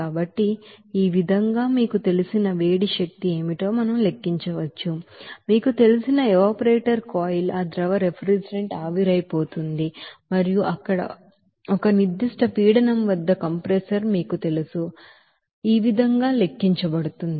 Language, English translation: Telugu, So in this way we can calculate what will be the you know heat energy to be supplied to the evaporator coil to you know evaporate that liquid refrigerant and passing through that you know compressor at a certain pressure there, that will be calculated in this way